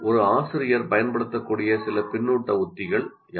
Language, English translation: Tamil, What are some of the feedback strategies a teacher can make use of